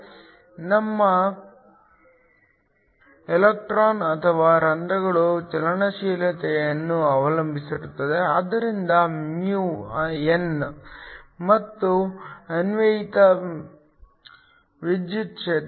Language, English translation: Kannada, It depends upon the mobility of your electrons or holes, so mu n and the applied electric field